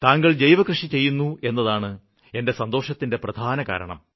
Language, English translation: Malayalam, I am happy that, you are a farmer engaged in organic farming